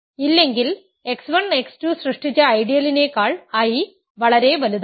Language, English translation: Malayalam, So, the ideal generated by x 1 x 2 is contained in I